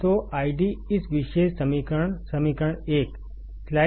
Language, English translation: Hindi, So, D I D this particular equation; equation 1